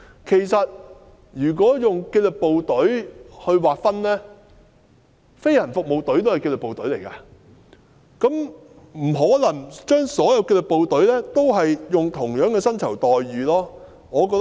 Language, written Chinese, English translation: Cantonese, 其實，以紀律部隊劃分，飛行服務隊也屬於紀律部隊，所以不可能將所有紀律部隊的薪酬待遇劃一。, In fact according to the categorization the Government Flying Service is also a disciplined force . Therefore it is impossible to adopt a uniform scale of remuneration for all disciplined forces